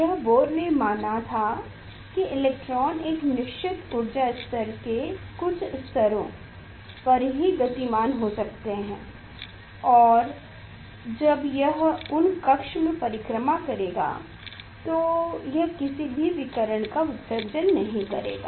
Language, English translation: Hindi, that is that was the Bohr postulated that the electrons can rotate a certain energy levels certain levels and when it will rotate, it will not radiate any it will not emit any radiation